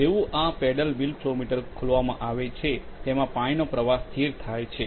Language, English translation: Gujarati, As soon as this paddle wheel flow meter is opened and the water flow is stabilized